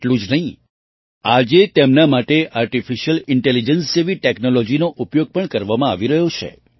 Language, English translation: Gujarati, Not only that, today a technology like Artificial Intelligence is also being used for this